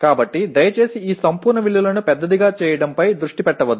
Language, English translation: Telugu, So please do not focus on or making these absolute values large